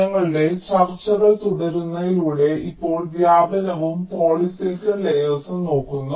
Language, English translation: Malayalam, ok, so, continuing with our discussions, we now look into the diffusion and polysilicon layers